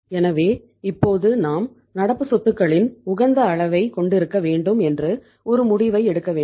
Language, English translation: Tamil, So now we have to take a decision that we should have the optimum level of current assets